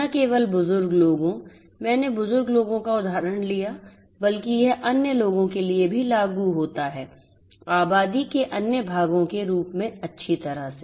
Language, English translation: Hindi, Not only elderly people, I took the example of elderly people, but this also applies for the other population as well; other parts of the population as well